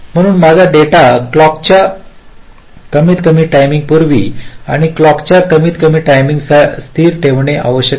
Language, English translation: Marathi, so my data must be kept stable a minimum time before the clock and also minimum time after the clock